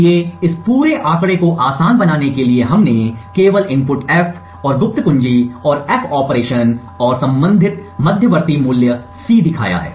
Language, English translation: Hindi, So, to simplify this entire figure we just showed the input F and the secret key and the F operation and the corresponding intermediate value C